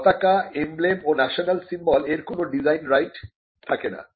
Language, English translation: Bengali, Flags, emblems and national symbols cannot be a subject matter of design right